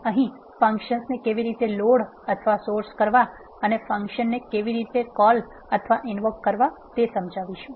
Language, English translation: Gujarati, We are going to explain how to load or source the functions and how to call or invoke the functions